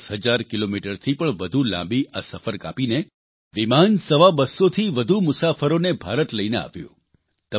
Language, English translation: Gujarati, Travelling more than ten thousand kilometres, this flight ferried more than two hundred and fifty passengers to India